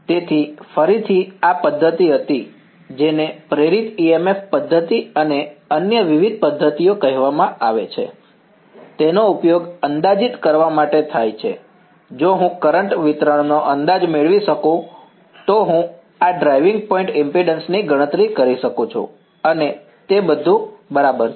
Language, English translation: Gujarati, So, again this was method which is called the Induced EMF method and various other methods, they are used to approximate, if I can get an approximation of the current distribution then I can calculate this driving point impedance and all that right